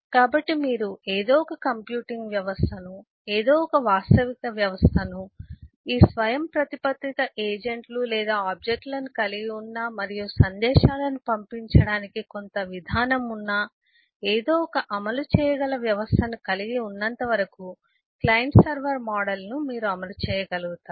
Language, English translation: Telugu, so you can say: understand that as long as you you can have some computing system, some realizable system, some implementable system where you can have this autonomous agents or objects, and you have some mechanism to pass messages, send messages, you will be able to implement a client server model